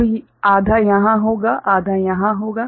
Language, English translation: Hindi, So, half will be here half will be there